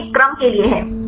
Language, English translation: Hindi, That is for a sequence